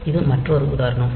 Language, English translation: Tamil, So, this is another example